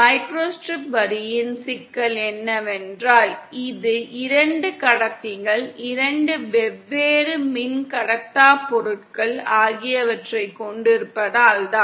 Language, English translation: Tamil, The problem with the micro strip line is that, it is, since it consist of two conductors, two different dielectric materials